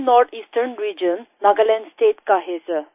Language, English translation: Hindi, I belong to the North Eastern Region, Nagaland State sir